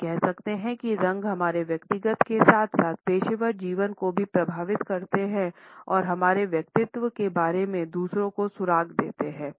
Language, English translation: Hindi, Nonetheless we can say that colors affect our personal as well as professional lives by imparting clues about our personality to others